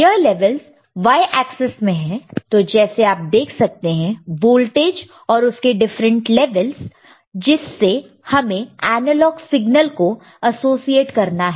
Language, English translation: Hindi, These are in the y axis that you see the voltage, that you see at different levels to which the analog signal need to be associated with